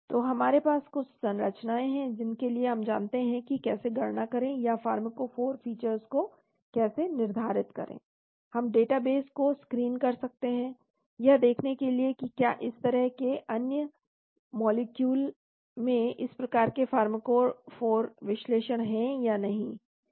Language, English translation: Hindi, So we have few structures we know how to calculate or how to determine the pharmacophore features, we can screen databases to see whether such other molecules have this type of pharmacophore features